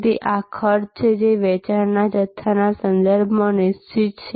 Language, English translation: Gujarati, So, these are costs, which are fixed with respect to the volume of sales